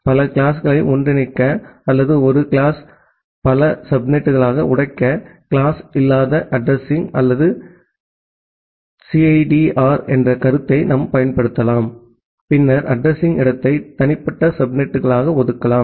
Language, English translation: Tamil, We can apply concept of classless addressing or CIDR to combining multiple classes together or to break a single class into multiple subnets and then assign the address space to individual subnets